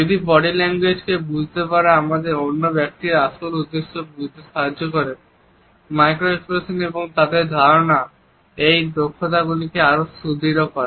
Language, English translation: Bengali, If understanding body language helps us to understand the true intent of the other person; micro expressions and their understanding further hones these skills